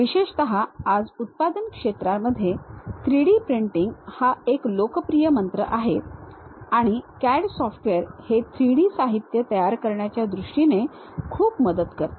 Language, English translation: Marathi, Especially, these days in manufacturing sector 3D printing is a popular mantra and CAD software helps a lot in terms of preparing these 3D materials